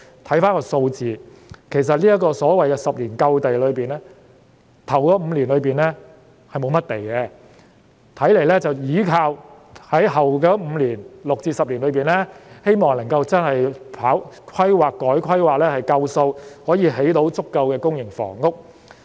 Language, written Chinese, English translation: Cantonese, 看回數字，其實所謂未來10年有足夠土地一說，首5年是沒有甚麼土地供應的，看來是依靠其後5年透過規劃、改規劃來興建足夠的公營房屋。, I mean we all know Just take a look at the figures and we will see what the claim of having sufficient land in the next 10 years means . With no land supply at all in the first five years the Government seems to relies on the planning and rezoning in the next five years to build sufficient public housing unit